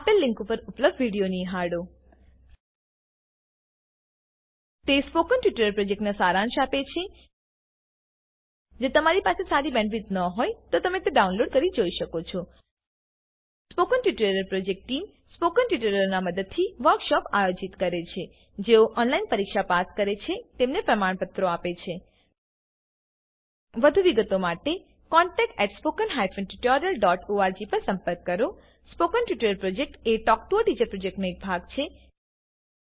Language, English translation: Gujarati, Watch the video available at the following link (http://spoken tutorial.org/What is a Spoken Tutorial) It summarises the Spoken Tutorial project If you do not have good bandwidth, you can download and watch it The Spoken Tutorial Team conducts workshops using spoken tutorials Gives certificates to those who pass an online test For more details contact, contact@spoken tutorial.org Spoken Tutorial Project is a part of the Talk to a Teacher project